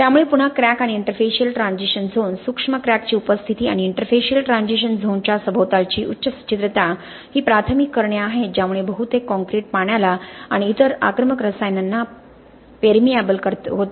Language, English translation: Marathi, So again cracks and interfacial transition zone, presence of micro cracks and the higher porosity around the interfacial transition zone are the primary reasons why most concrete becomes quite permeable to water and other aggressive chemicals, okay